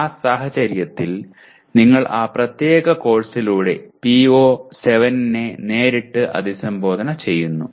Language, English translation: Malayalam, In that case you are directly addressing PO7 through that particular course